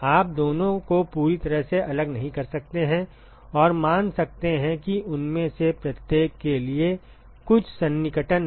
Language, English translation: Hindi, You cannot completely separate the two and assume make some approximations for each of them